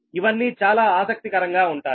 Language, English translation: Telugu, we will find things are interesting